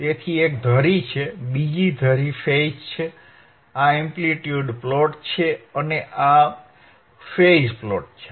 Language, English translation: Gujarati, So, one axis is amplitude one axis is amplitude, another axis is phase, this is the amplitude plot